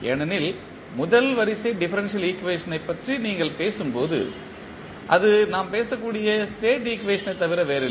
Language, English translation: Tamil, Because, when you talk about the first order differential equation that is nothing but the state equation we are talking about